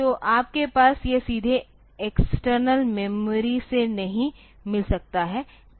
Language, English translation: Hindi, So, you cannot have it from external memory like that directly